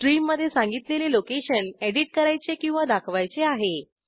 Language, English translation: Marathi, Then we give the location in the stream that we want to edit or display